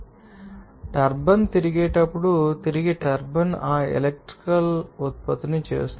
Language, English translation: Telugu, And whenever turbine will be rotating that rotates the rotating turbine will generate that electricity